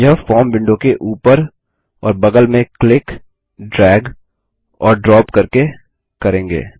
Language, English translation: Hindi, We will do this by clicking, dragging and dropping on the top and sides of the form window